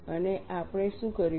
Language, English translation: Gujarati, And what we did